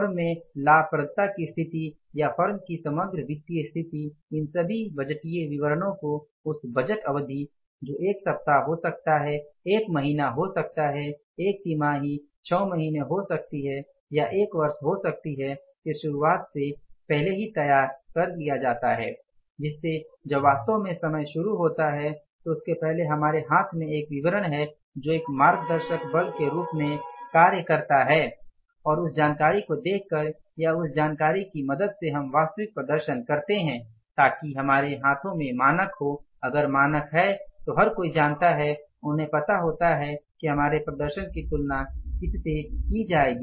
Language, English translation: Hindi, All these budgeted statements are prepared before the beginning of that budget period, maybe a week, maybe a month, maybe a quarter, maybe a six month or maybe a year and when it actually that time begins before that we have a statement in our hand which acts as a guiding force and looking at that information or going by that information we say go for the actual performance so that we have the benchmark in our hands